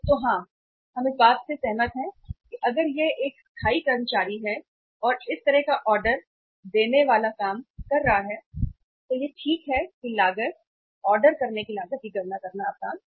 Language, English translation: Hindi, So yes, we agree that if it is a temporary workers and doing this kind of the ordering job only then it is fine it is easy to calculate the cost, ordering cost